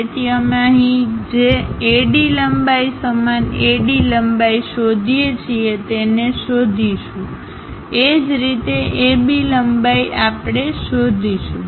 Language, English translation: Gujarati, So, we locate whatever the AD length here same AD length here we will locate it; similarly, AB length AB length we will locate